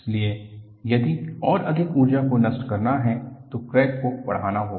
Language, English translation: Hindi, So, if more energy has to be dissipated, the crack has to branch out